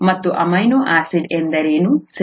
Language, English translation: Kannada, And what is an amino acid, okay